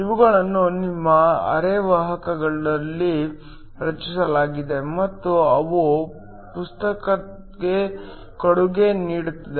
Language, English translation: Kannada, These are created in your semiconductor and they contribute towards current